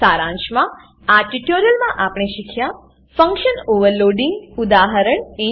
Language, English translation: Gujarati, In this tutorial, we will learn, Function Overloading